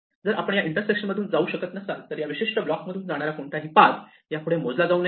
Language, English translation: Marathi, Now, if we cannot go through this then any path which goes through this particular block intersection should no longer be counted